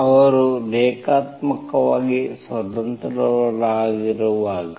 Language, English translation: Kannada, When they are linearly independent